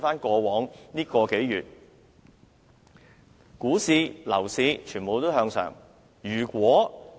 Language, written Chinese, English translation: Cantonese, 過往數月，股市和樓市全面向上。, In the past few months stock and property prices are all on the increase